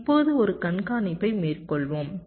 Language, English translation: Tamil, fine, now let us make an observation